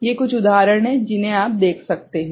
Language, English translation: Hindi, These are the some examples that you can see ok